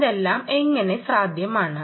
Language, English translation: Malayalam, and how is that possible